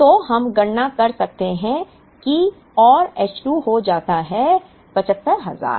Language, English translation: Hindi, So, we can calculate that and H 2 becomes 75,000